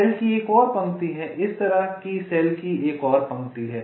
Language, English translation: Hindi, there is another row of cells, there is another row of cells like this